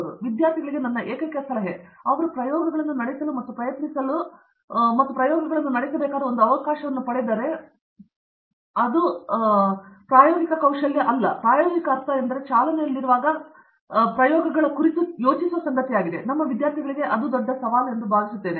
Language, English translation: Kannada, So, my only advice to the student is, if they get a chance they have to go and try and run experiments and that experimental skill is something that we, it’s not even a experimental skill that experimental sense is something that thinking on feet while running the experiment, those are the things I think our students find it big challenging